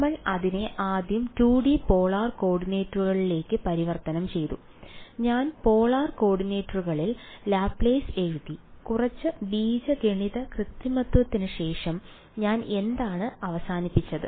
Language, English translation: Malayalam, We converted it first to 2D polar coordinates I wrote down the Laplace in the polar coordinates and after some amount of algebraic manipulation, what did I end up with